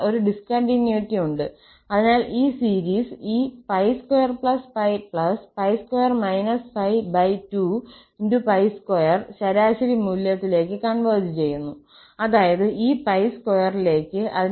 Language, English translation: Malayalam, So, there is a discontinuity, so this series will converge to this average value pi plus pi square and minus pi plus pi square divided by 2 that means, this pi square